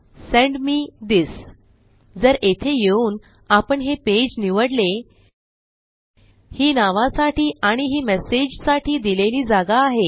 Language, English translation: Marathi, So if you come to our page and choose this page here this is the space for the name and this is the space for the message